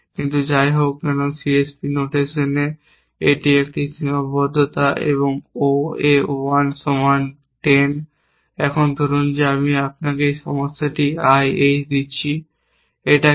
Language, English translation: Bengali, But, anyway in the C S P notation, it is a constrain and O A 1 equal to 10, now supposing I give you this problem I H, what is it